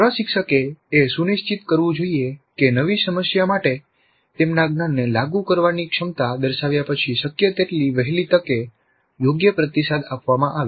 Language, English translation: Gujarati, So, the instructor must ensure that proper feedback is provided to the learners as early as possible after they demonstrate the ability to apply their knowledge to a new problem